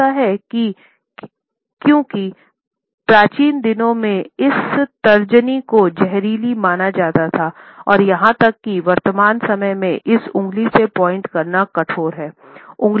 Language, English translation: Hindi, Maybe it is, because in ancient days, this forefinger was regarded as venomous and even in present times it is rude to point especially, with this finger